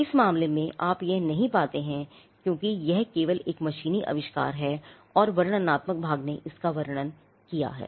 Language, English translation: Hindi, In this case, you do not find that because this is only a mechanical invention and the descriptive part has described it